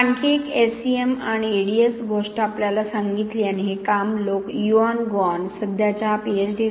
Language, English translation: Marathi, Then another interesting thing we found, we did with the SEM and EDS and this is the work done by Yuan Guan, the current Ph